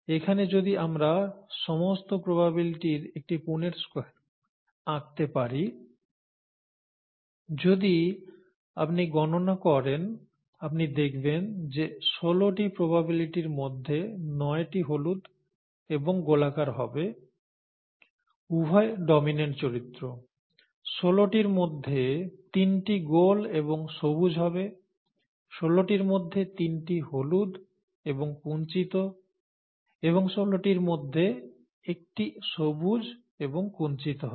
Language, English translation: Bengali, If we draw a Punnett Square here of all the possibilities, you can see if you count, that nine out of the sixteen possibilities would be yellow and round, both dominant characters; three out of sixteen would be round and green; three out of sixteen would be yellow and wrinkled and one out of sixteen would be green and wrinkled